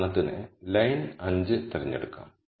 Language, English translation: Malayalam, Let us pick for example, row 5